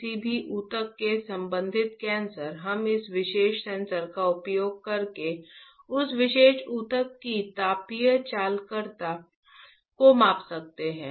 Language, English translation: Hindi, Any tissue related cancer we can measure the thermal conductivity of that particular tissue using this particular sensor, right